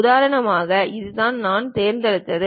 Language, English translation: Tamil, For example, this is the one what I picked